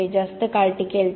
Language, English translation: Marathi, It would last longer